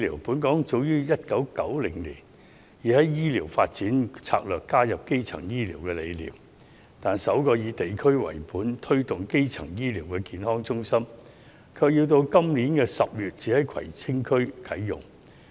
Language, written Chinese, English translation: Cantonese, 本港早於1990年已在醫療發展策略內加入基層醫療的理念，但首個以地區為本，推動基層醫療的健康中心，卻到今年10月才會在葵青區啟用。, As early as 1990 Hong Kong already incorporated the concept of primary healthcare in the healthcare development strategy . But it is not until October this year that the first district - based health centre promoting primary healthcare will be commissioned in Kwai Tsing District